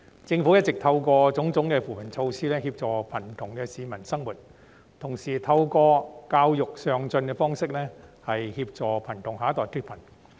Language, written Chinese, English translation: Cantonese, 政府一直透過種種扶貧措施協助貧窮的市民生活，同時透過教育上進的方式協助貧窮下一代脫貧。, The Government has been helping the poor to live through various poverty alleviation measures and at the same time alleviating poverty of the next generation through education